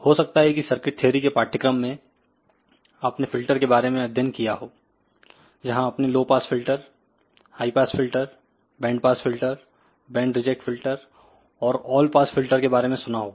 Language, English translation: Hindi, You might have studied about filters in circuit theory course; where you would have heard about low pass filter, high pass filter, band pass filter, band reject filter and all pass filter